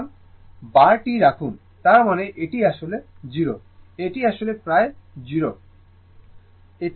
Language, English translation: Bengali, So, put bar; that means, it is actually 0, it is actually forget about 0